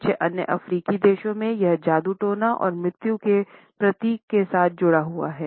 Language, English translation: Hindi, In certain other African countries, it is associated with witchcraft and symbolizes death